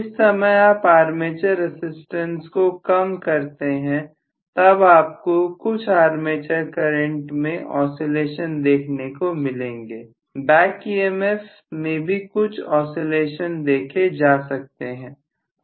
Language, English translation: Hindi, The moment you reduce the armature resistance you may feel some oscillations in the armature current, you may some oscillations in the back emf